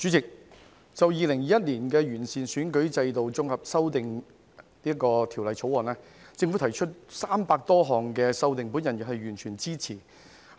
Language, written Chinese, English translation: Cantonese, 主席，政府就《2021年完善選舉制度條例草案》提出300多項修訂，我完全支持。, Chairman I fully support the 300 - odd amendments proposed by the Government to the Improving Electoral System Bill 2021